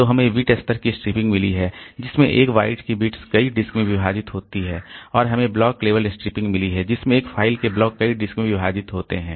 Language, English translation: Hindi, So, we have got bit level striping in which the bits of a byte are split across multiple disk and we have got block level striping in other blocks of a file are split across multiple disks